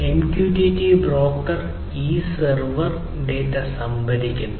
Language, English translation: Malayalam, So, MQTT broker which is a server basically stores this data